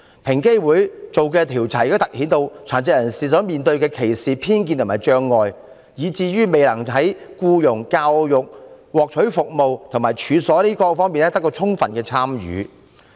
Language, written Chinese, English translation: Cantonese, 平機會所進行的調查凸顯了殘疾人士面對歧視、偏見及障礙，以至未能在僱傭、教育、獲取服務，以及處所進出方面得到充分參與。, The research conducted by EOC also highlights that persons with disabilities face discrimination prejudice as well as barriers to their full participation in all aspects of life such as employment education access to services and premises